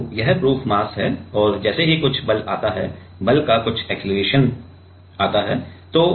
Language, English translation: Hindi, So, this is the proof mass and as some force comes as some acceleration of force comes